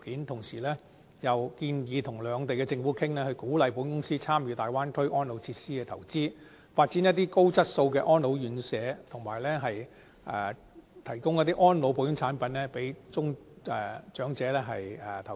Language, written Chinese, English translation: Cantonese, 同時建議與兩地政府商討，鼓勵保險公司參與大灣區安老設施的投資，發展高質素的安老院舍，以及提供安老保險產品讓長者投保。, The proposal also calls on the insurance industry to engage in discussion with Governments of the two places encourage insurers to participate and invest in the development of elderly facilities in the Bay Area to build quality RCHEs there and to provide insurance products for seniors